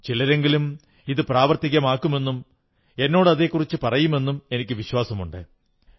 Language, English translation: Malayalam, I believe some people will put them to use and they will tell me about that too